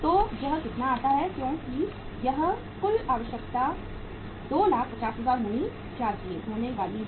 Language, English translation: Hindi, So how much it works out as this is uh total requirement is going to be 250000